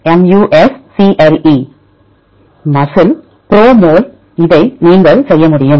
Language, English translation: Tamil, MUSCLE, PROMOL right this can you do that